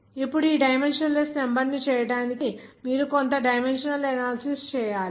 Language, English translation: Telugu, Now to make those dimensionless number you have to do some dimensional analysis